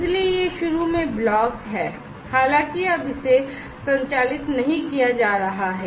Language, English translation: Hindi, So, this is block initially, although it is not being operated now